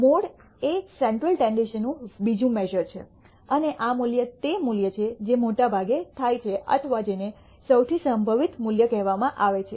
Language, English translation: Gujarati, A mode is another measure of central tendency and this value is the value that occurs most often or what is called the most probable value